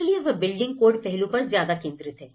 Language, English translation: Hindi, So, it is very focused on the building code aspect